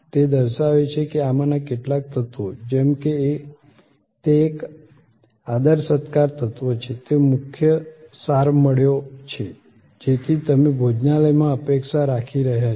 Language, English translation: Gujarati, It has shown that some of these elements like it is a hospitality element, it has got the main core that you are expecting in the restaurant